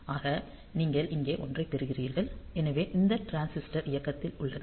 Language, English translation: Tamil, So, you are getting a 1 here; so, this transistor is on